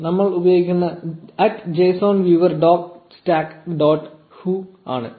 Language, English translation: Malayalam, The one we will be using is at json viewer dot stack dot hu